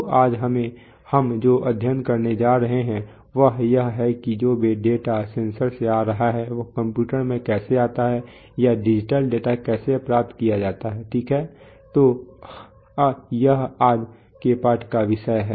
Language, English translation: Hindi, So what we are going to study today is how the data which is fine, which is coming from the sensors gets into the computers or how digital data is going to be acquired, right, so that is the subject of the lesson today